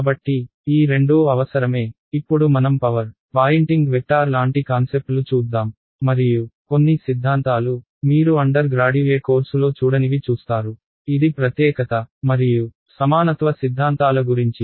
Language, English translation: Telugu, So, these two is sort of essential, then we will look at power, poynting vector and concepts like that and a theorem a couple of theorems which you may or may not have seen in an undergraduate course which is about uniqueness and equivalence theorems ok